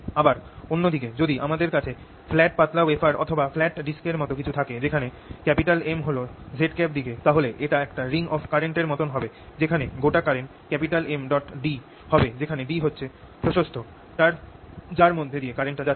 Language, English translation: Bengali, on the other hand, if i have a very flat, thin wafer like or thin disc like thing, with m in z direction, this will be like a ring of current where the total current will be given by m times this width d